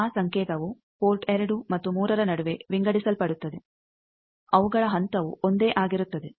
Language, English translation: Kannada, That signal gets divided between port 2 and 3, their phase is also same